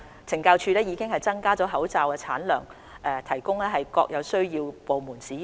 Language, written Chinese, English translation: Cantonese, 懲教署亦已增加口罩產量供各有需要的部門使用。, CSD has also increased its mask production volume to meet the needs of government departments